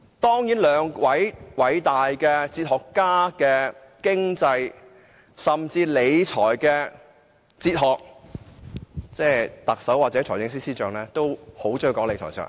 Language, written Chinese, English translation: Cantonese, 他們兩位偉大哲學家的經濟甚至理財哲學皆截然不同，而特首和財政司司長也很喜歡談理財哲學。, The economic and fiscal management theories of these two great philosophers are poles apart . And the Chief Executive and the Financial Secretary also have a liking for talking about the philosophy of fiscal management